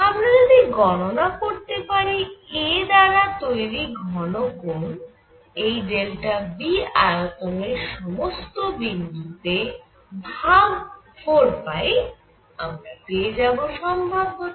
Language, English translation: Bengali, So, if I calculate the solid angle made by a on points and volume V and divided by 4 pi that is going to be the probability